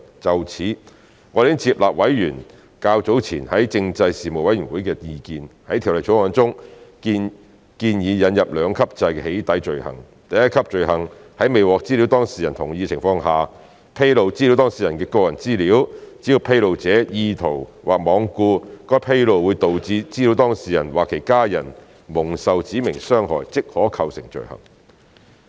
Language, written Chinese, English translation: Cantonese, 就此，我們已接納委員較早前在政制事務委員會的意見，在《條例草案》中建議引入兩級制的"起底"罪行，第一級罪行在未獲資料當事人同意的情況下，披露資料當事人的個人資料，只要披露者意圖或罔顧該披露會導致資料當事人或其家人蒙受"指明傷害"，即可構成罪行。, In this regard we have accepted Members earlier comments in the Panel on Constitutional Affairs by introducing to the Bill a two - tier system of doxxing offences . The first - tier offence is an offence for disclosing personal data without the data subjects relevant consent as long as the discloser has an intent to cause any specified harm or is being reckless as to whether any specified harm would be caused to the data subject or hisher family members